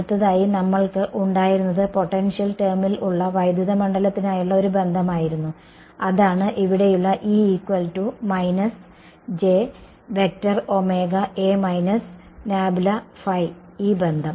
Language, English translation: Malayalam, The next thing we had was a relation for the electric field in terms of the potential right that was this relation over here